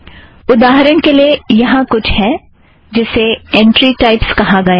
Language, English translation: Hindi, For example, see for example there is something called entry types